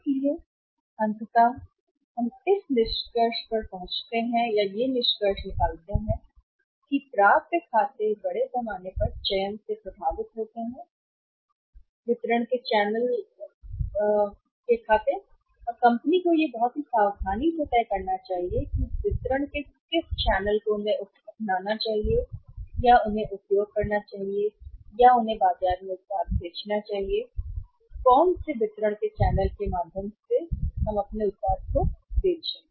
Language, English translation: Hindi, So, ultimately we conclude here that accounts receivables are largely affected by the selection of the channel of distribution and the company should decide it very carefully which channel of the distribution they should adopt or they should use and they should sell the product in the market by falling or by sail through which channel of distribution